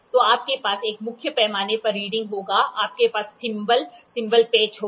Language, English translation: Hindi, So, you will have a main scale reading, you will have a thimble, thimble screw